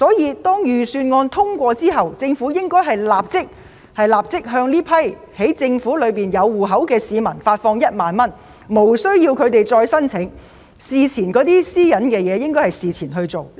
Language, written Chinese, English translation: Cantonese, 一旦預算案獲得通過，應立即向政府已掌握戶口資料的市民發放1萬元，他們無須提出申請，而有關私隱的問題亦應在事前獲得妥善處理。, Since the Government already has the information of the accounts of so many people it should instantly disburse 10,000 to them once the Budget is passed . These people do not need to apply and the privacy issue in question should be properly addressed in advance